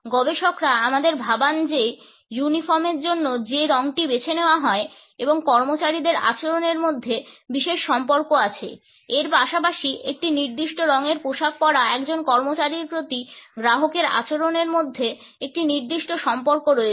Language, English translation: Bengali, Researchers also lead us to think that there is a certain relationship between the color which is chosen for a uniform and the behavior of the employees as well as the behavior of a customer towards an employee who is dressed in a particular color